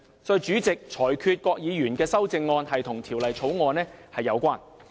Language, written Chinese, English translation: Cantonese, 所以，主席亦裁決郭議員的修正案與《條例草案》有關。, For this reason the President also ruled that Dr KWOKs amendment is relevant to the Bill